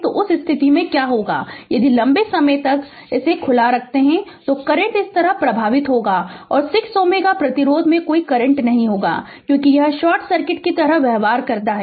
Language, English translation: Hindi, So, in that case what will happen that if it is open for a long time, the current will flow like this and there will be no current in the 6 ohm resistance because ah it because it behaves like a short circuit